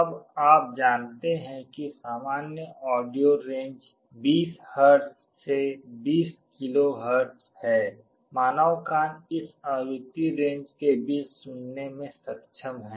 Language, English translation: Hindi, Now, you know that the typical audio range is 20 Hz to 20 KHz, human ear is able to hear between this frequency range